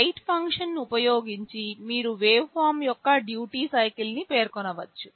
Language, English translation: Telugu, Using the write function you can specify the duty cycle of the waveform